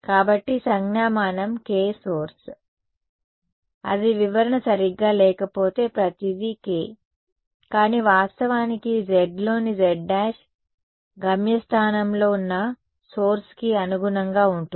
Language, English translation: Telugu, So, the notation was K source to observation point that is the interpretation right just otherwise everything looks like K, but in fact, the z in the z prime correspond to the source in the destination